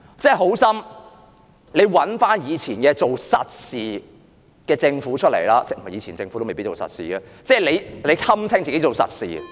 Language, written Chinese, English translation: Cantonese, 做好心，請找以前做實事的政府回來——不，以前的政府也未必做實事——她堪稱自己做實事......, For Gods sake please give us back the past Governments that did solid work―no the past Governments did not necessarily do solid work―she described herself as someone who does solid work but do not make the current - term Government practically deplorable